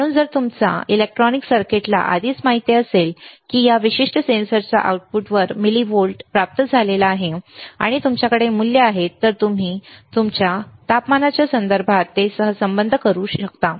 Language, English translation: Marathi, So, if your if your electronic circuits already know that the millivolt obtained at the output of this particular sensor, and you have the values you can correlate it with respect to temperature